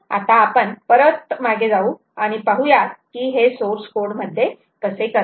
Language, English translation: Marathi, ok, now let us go back and see what exactly how exactly this is done in source code